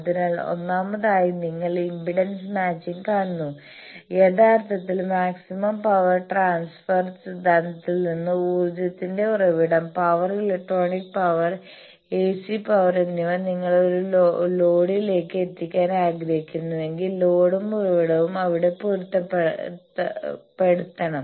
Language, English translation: Malayalam, So, the first thing is you see impedance matching, actually from maximum power transfer theorem that if there is a source of energy, source of power electronic power, AC power that you want to deliver to a load then load and source should be matched there should be a conjugate relationship between them